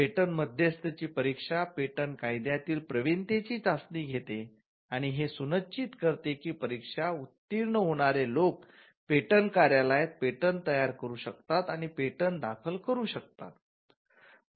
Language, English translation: Marathi, Now, the patent agent examination, tests proficiency in patent law, and it also ensures that the people who clear the exam can draft and file patents before the patent office